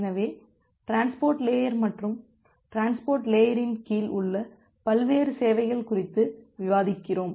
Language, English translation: Tamil, So, we are discussing about the transport layer and various services under the transport layer